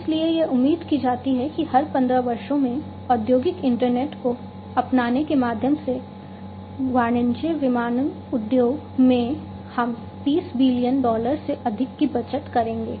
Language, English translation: Hindi, So, in every 15 years it is expected that the commercial aviation industries through the adoption of industrial internet, we will save over 30 billion dollars